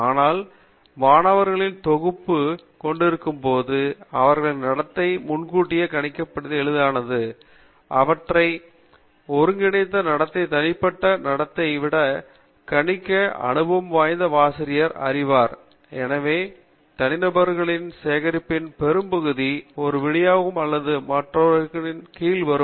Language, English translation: Tamil, But an experienced teacher will know that when you have a collection of students, then their behavior is easier to predict, their collective behavior is easier to predict than the individual behavior; because, most of the collection of individuals form on or fall under one distribution or the other